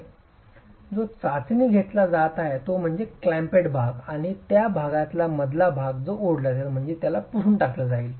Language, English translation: Marathi, The bed joint that is being tested is the one that is between the clamped portion and the part that is going to be that is going to be pulled out